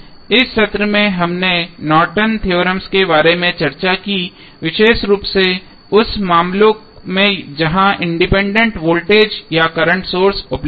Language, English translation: Hindi, So, in the session we discussed about the Norton's theorem, a particularly in those cases where the independent voltage or current sources available